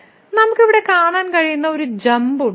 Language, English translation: Malayalam, So, there is jump here which we can see